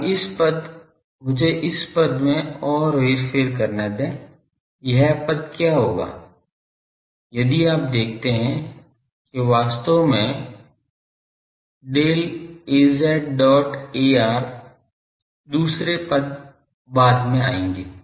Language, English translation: Hindi, Now, this term let me further manipulate this term what will be this term if you see what is actually Del Az dot ar others will be coming later